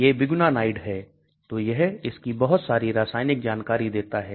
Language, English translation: Hindi, It is biguanide so it gives a lot of chemical details about it